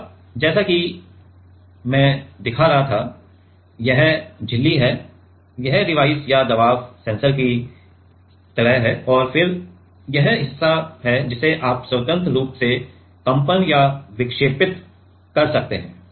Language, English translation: Hindi, Now, as I was showing so, this is the membrane this is the like the device or the pressure sensor and then this part is which you which can freely vibrate or deflect